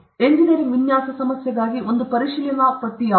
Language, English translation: Kannada, What is a checklist for an engineering design problem